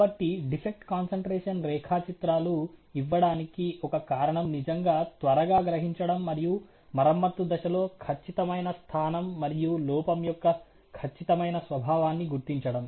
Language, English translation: Telugu, So, one of the reasons why defect concentration diagrams are given is to really quickly realize, and identify during the repair stage, the exact location and the exact nature of the defect